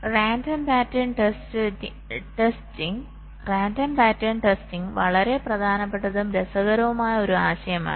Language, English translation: Malayalam, ok, random pattern testing is a very, very important and interesting concept